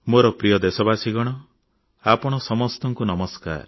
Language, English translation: Odia, My dear countrymen, my greetings namaskar to you all